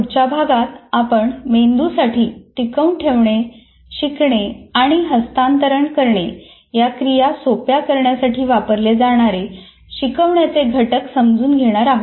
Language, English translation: Marathi, And in the next unit, we'll try to understand the instructional components that facilitate the brain in dealing with retention, learning and transfer